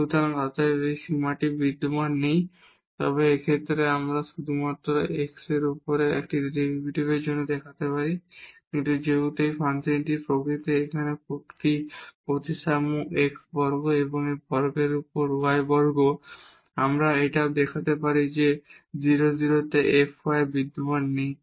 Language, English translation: Bengali, So, hence this limit does not exist and in this case we can now we have shown just for the one derivative over the f x here, but since the nature of this function it is a symmetric here x square plus y square over this one; we can also show that f y at 0 0 does not exists